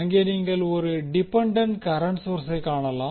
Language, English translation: Tamil, Where, you see the dependant current source